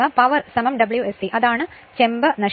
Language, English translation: Malayalam, And power is equal to W s c that is the Copper loss